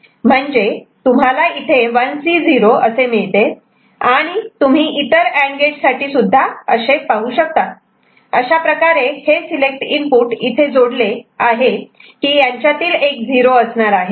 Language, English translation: Marathi, So, this is what when you will get 1C 0 over here and for all the other AND gates you will see, this select input these are connected in such a manner that one of them is 0 ok